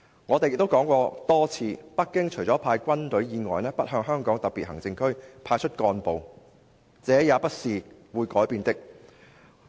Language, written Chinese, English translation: Cantonese, 我們還多次說過，北京除了派軍隊以外，不向香港特別行政區派出幹部，這也是不會改變的。, We have also stated repeatedly that apart from stationing troops there Beijing will not assign officials to the government of the Hong Kong Special Administration Region . This policy too will remain unchanged